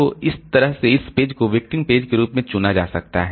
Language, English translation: Hindi, So, that way this page may become selected as a victim page